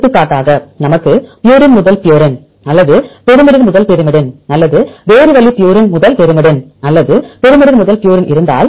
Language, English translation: Tamil, For example if we have purine to purine or pyrimidine to pyrimidine or other way purine to pyrimidine or pyrimidine to purine